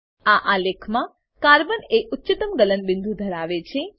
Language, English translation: Gujarati, In this chart, Carbon has highest melting point